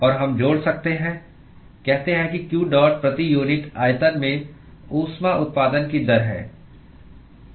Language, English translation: Hindi, say that qdot is the rate of heat generation per unit volume